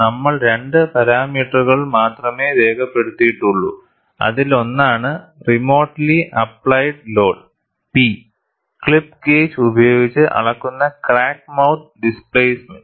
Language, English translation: Malayalam, We have recorded only two parameters; one is the remotely applied load P and the displacement of the crack mouth, measured with a clip gauge